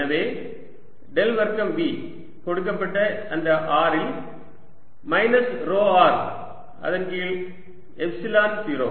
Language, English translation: Tamil, so you have given the del square, v is equal to minus rho r a, given at that r over epsilon zero